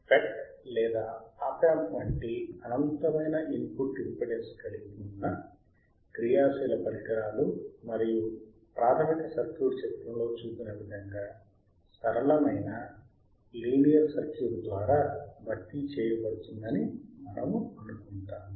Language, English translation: Telugu, We will assume that the active device with infinite input impedance such as FET or Op amp, and the basic circuit can be replaced by linear equivalent circuit as shown in the figure